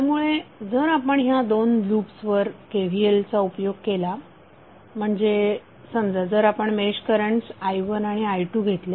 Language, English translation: Marathi, So if you apply KVL to the 2 loops that is suppose if you take i1 and i2 match currents i1 and i2